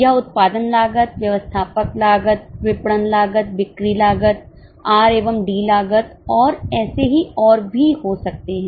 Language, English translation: Hindi, It can be production costs, admin costs, marketing costs, selling cost, R&D costs and so on